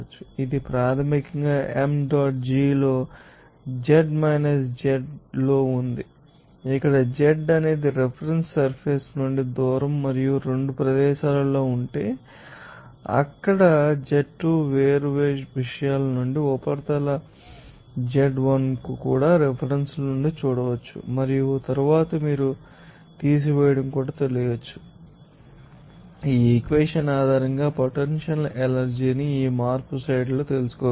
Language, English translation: Telugu, It is basically in m dot g into z2 – z1 here z is the distance from the reference surface and at 2 locations if it is there then you can see that z2 are from the different subjects surface z1 also from the references and then you know subtracting it will give you that change of you know potential energy based on this equation given in the slide